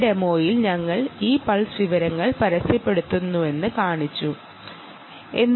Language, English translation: Malayalam, in this demonstration we have shown that this pulse information is actually being advertised